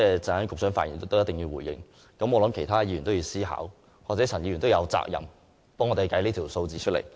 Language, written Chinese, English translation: Cantonese, 局長稍後發言時必須回應，其他議員亦應思考，而陳議員亦有責任為我們計算相關數據。, The Secretary must respond to this during his speech later . Other Members should also give it a thought . Mr CHAN also has the responsibility to work out the relative figures for us